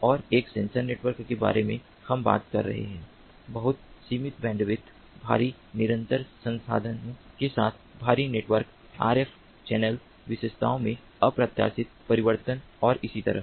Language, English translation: Hindi, and in a sensor network we are talking about very limited bandwidth, heavily constraint network with heavily constant resources, unpredictable changes in rf channel characteristics and so on